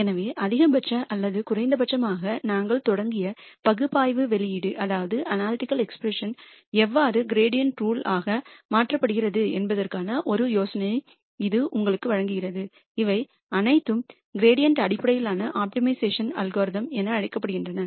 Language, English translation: Tamil, So, this gives you an idea of how the analytical expression that we started with for maximum or minimum is converted into a gradient rule and these are all called as gradient based optimization algorithms